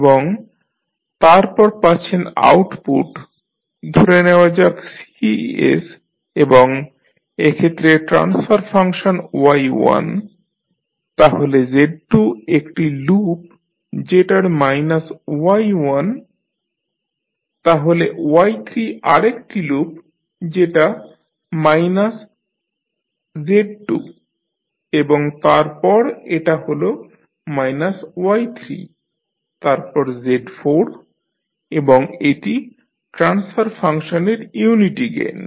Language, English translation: Bengali, And, then you have the output say Cs and the transfer functions are like Y1 for this set, then Z2 you have a loop which is say minus Y1 then Y3 you have another loop which is minus of Z2 and then this is minus of Y3, then Z4 and this is a unity gain the transfer function